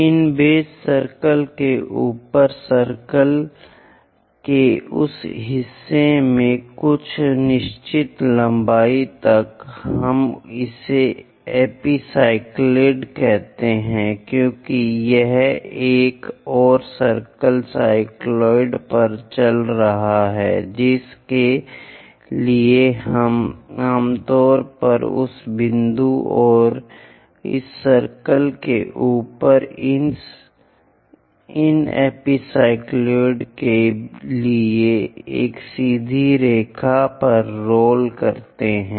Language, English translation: Hindi, In that part of the circle above these base circle up to certain length, we call that as epicycloid because it is running over a another circle, cycloids for which we usually roll it on a straight line for these epicycloids on top of that point and this circle continuously rolling on another circle